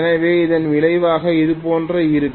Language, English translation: Tamil, This is going to be the result